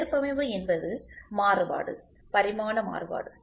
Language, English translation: Tamil, Tolerance is the variation, dimensional variation, right